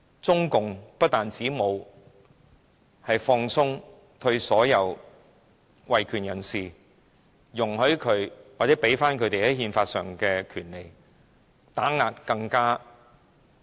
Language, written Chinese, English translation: Cantonese, 中共不但沒有放鬆對所有維權人士的打壓，沒有給予他們在憲法上的權利，反而打壓得更厲害。, Not only has CPC refused to ease its oppression of all human rights activists and denied them their constitutional rights but it has oppressed them even more severely